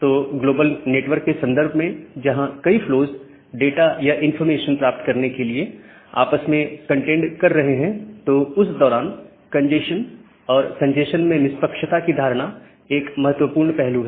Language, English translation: Hindi, So, considering the global network perspective, where multiple flows are contending with each other to get the information to get the data, during that time this notion of congestion and the notion of fairness since congestion is an important aspect